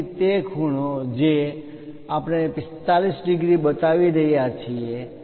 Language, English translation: Gujarati, So, that angle what we are showing as 45 degrees